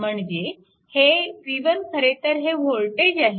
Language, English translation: Marathi, And this v 1 actually this is the voltage right